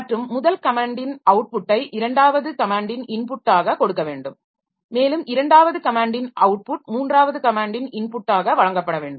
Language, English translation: Tamil, And not only that the output of the first command should be given as input to the second command and output of second command should be given as input to the third command